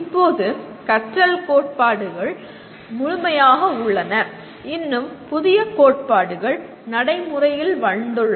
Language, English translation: Tamil, Now there are a whole bunch of learning theories and still newer theories are coming into vogue